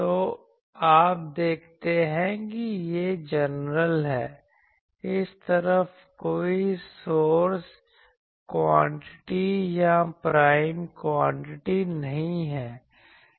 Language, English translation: Hindi, So, you see this is general, this side there is no source quantity or prime quantities